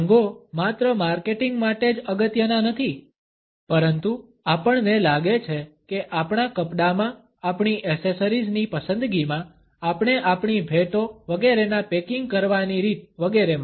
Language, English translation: Gujarati, Colors are not only important for marketing, but we find that in our clothing, in our choice of accessories, in the way we package our gifts etcetera